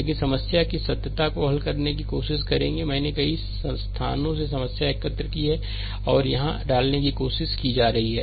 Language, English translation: Hindi, But verities of problem will try to solve I have collected problem from several places and try to put it here